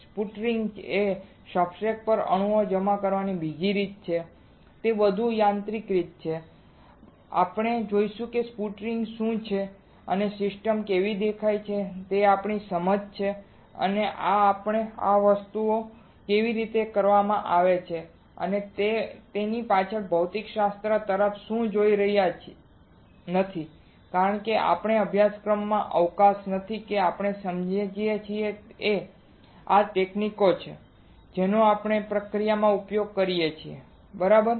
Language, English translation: Gujarati, Sputtering is another way of depositing the atoms on the substrate, it is a more of mechanical way we will see what exactly is sputtering does and how the system looks like that is our understanding this we are not really looking at the physics behind how these things are done alright, because there is not scope of our course scope is that we understand that these are the techniques that we can use in the process alright